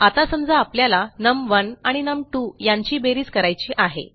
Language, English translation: Marathi, Okay, now, say I want to add num1 and num2 together